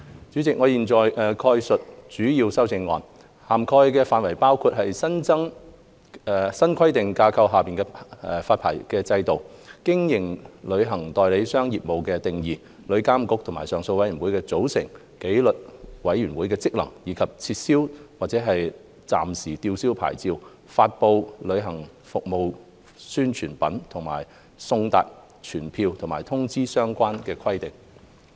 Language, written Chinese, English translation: Cantonese, 主席，我現在概述主要的修正案，涵蓋範疇包括：新規管架構下的牌照制度、經營旅行代理商業務的定義、旅遊業監管局和上訴委員會的組成、紀律委員會的職能，以及撤銷或暫時吊銷牌照、發布旅行服務宣傳品和送達傳票或通知的相關規定。, Chairman I will now briefly explain my major amendments which cover areas including licensing regimes under the new regulatory framework; meaning of carrying on travel agent business; composition of the Travel Industry Authority TIA and appeal board; functions of disciplinary committee; and relevant requirements on revocation or suspension of licence publication of advertisements relating to the provision of travel services and service of summonses or notices